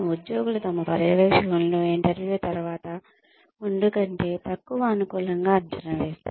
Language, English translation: Telugu, Employees tend to evaluate their supervisors, less favorably, after the interview, than before it